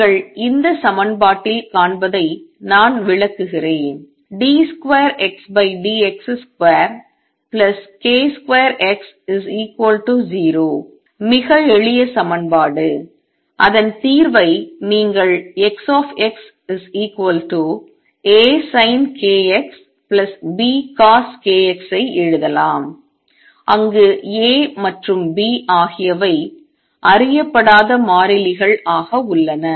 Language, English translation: Tamil, Let me explain that you see this equation d 2 X over d x square plus k square X equals 0, the very simple equation its solution is you can write X x is equal to A sin of k x plus B cosine of k x where A and B are unknown constants